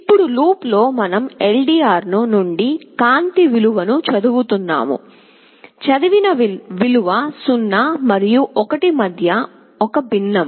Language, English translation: Telugu, Now in the while loop, we are reading the light value from the LDR; the value that is read is a fraction between 0 and 1